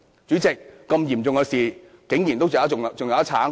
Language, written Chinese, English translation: Cantonese, 主席，這麼嚴重的事，竟然還可以爭辯？, President how can they still argue over such a serious issue?